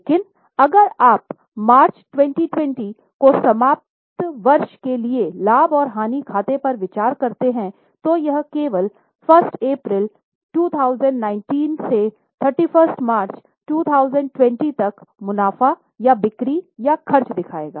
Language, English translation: Hindi, but if you consider a profit and loss account for year ended March 2020 it will only show profits or sales or expenses from 1st April 18 to 31st March 2020 are you getting so it's a period statement